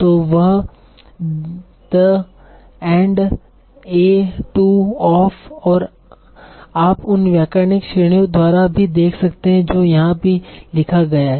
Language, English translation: Hindi, So like the and a to off and you can see also by the grammatical categories that is also written here